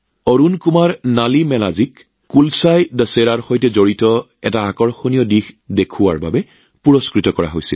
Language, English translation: Assamese, Arun Kumar Nalimelaji was awarded for showing an attractive aspect related to 'KulasaiDussehra'